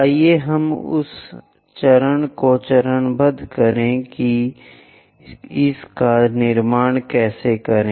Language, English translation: Hindi, Let us do that step by step how to construct it